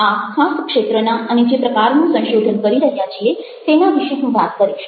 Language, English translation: Gujarati, i will be talking about the kind of research we are doing in this particular field